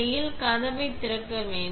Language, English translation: Tamil, Also, have the door open here